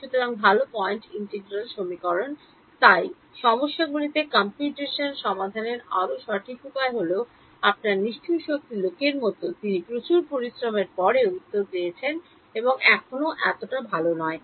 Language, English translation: Bengali, So, good point integral equations are therefore, the much more accurate ways of solving computationally in problems FDTD is like your brute force guy he gets you the answer after lot of effort and still not so good